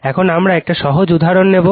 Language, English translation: Bengali, Now, we will take a simple example right